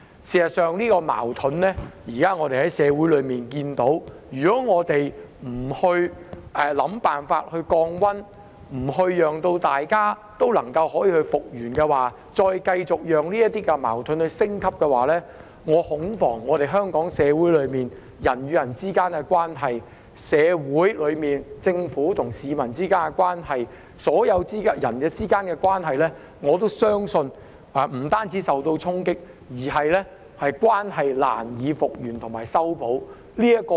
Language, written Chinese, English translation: Cantonese, 事實上，如果我們不想辦法令社會上這個矛盾降溫，讓大家復原，而是再繼續讓矛盾升級，恐怕在香港社會內人與人之間的關係、政府與市民之間的關係及所有人之間的關係，不單也會受衝擊，關係甚至難以復原和修補。, In fact if we do not find ways to defuse this conflict in society so that all parties can recover but continue to allow the conflict to escalate instead I am afraid not only will this impact on the relationships among people in Hong Kong society and between the Government and the public it will also be very difficult for these relationships to recover and mend